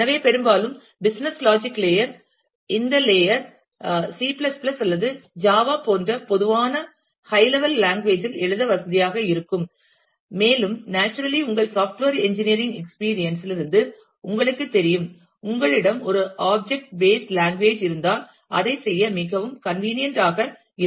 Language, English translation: Tamil, So, often the business logic layer, the this tier would be convenient to write in some typical common high level language like, C ++ or java, and naturally you would know from your experience of software engineering that, if you have a object based language then, that will be a very convenient to do that